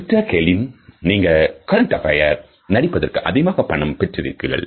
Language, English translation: Tamil, Mister Kaelin, you have got a lot of money for your appearance on current affair